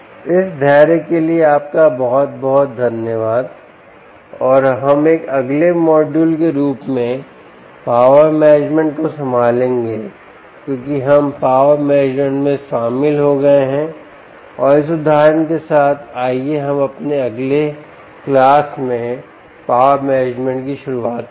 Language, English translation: Hindi, thank you very much, ah um on this of your patience, and we will handle power management as a next module in our, because we got into power management and with this example, let us start with the power management in our next class